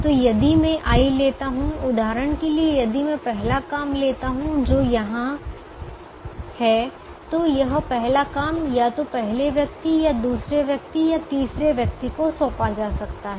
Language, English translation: Hindi, so if i take i, for example, if i take the first job which is here, then this first job can be assigned to either the first person or the second person or the third person, so it can go to only one person